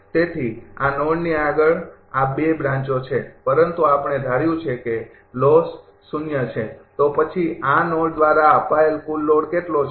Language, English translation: Gujarati, So, beyond this node this 2 branches are there, but we have assumed losses are 0, then what is the total load fed to this node